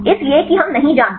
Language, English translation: Hindi, So, that we do not know